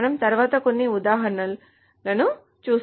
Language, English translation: Telugu, And we will go over some examples next